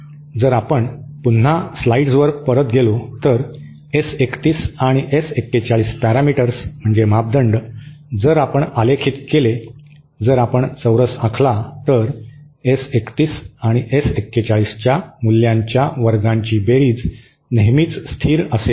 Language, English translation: Marathi, If we further go back to the slides once again, the S 31 and S 41 parameters, if we plot, if we plot the squares, then the sum of the magnitude squares of the S 31 and S 41 will always be constant